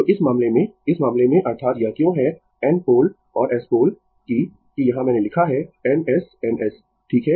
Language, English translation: Hindi, So, in this case, in this case that is why it is N pole and S pole that that here I have written N S, N S, right